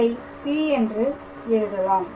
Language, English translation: Tamil, So, I can write it as P and then I can write P out here